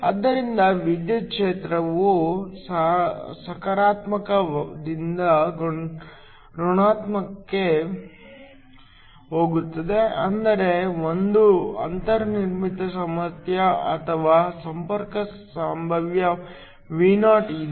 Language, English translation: Kannada, So, the electric field goes from positive to negative which means there is a built in potential or a contact potential Vo